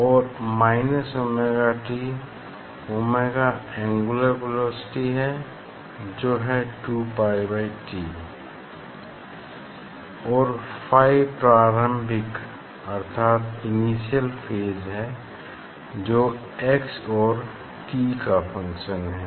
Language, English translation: Hindi, this x is there, and minus omega t omega is the angular velocity 2 pi by t plus phi; phi is the initial phase it is a function of x and t